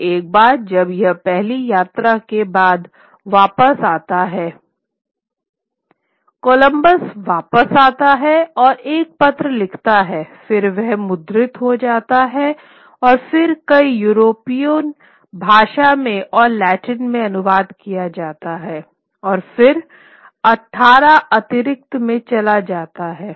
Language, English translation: Hindi, And once he comes back after his first voyage, Columbus comes back and writes a long letter describing it which then gets printed and then gets translated into several European vernacular languages and in Latin and then it goes into 18 editions